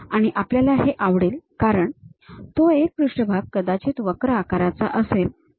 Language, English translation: Marathi, And, we would like to because it is a surface it might be having a curved shape